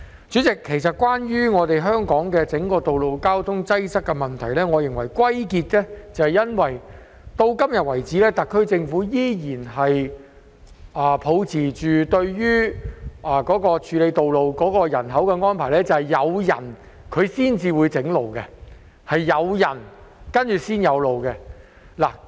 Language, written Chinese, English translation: Cantonese, 主席，關於香港道路交通擠塞的問題，我認為歸因於特區政府對於處理道路的安排，時至今日依然是抱持着"有人才會建路"的態度。, President regarding the problem of road traffic congestion in Hong Kong I think it is resulted from the SAR Governments arrangements in handling roads as even nowadays it still adopts the attitude of only when there are people will roads be built